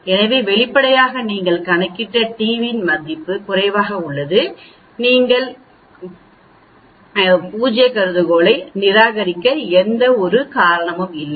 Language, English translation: Tamil, So obviously, the t which you have calculated is much less so there is no reason for you to reject the null hypothesis